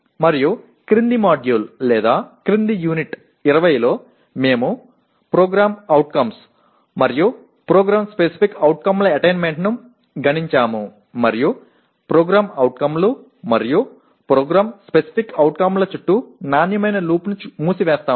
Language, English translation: Telugu, And in the following module or following unit 20, we will be computing the attainment of POs and PSOs and close the quality loop around POs and PSOs